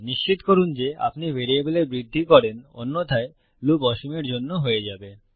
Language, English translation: Bengali, Make sure that you do increment your variable otherwise it will loop for infinity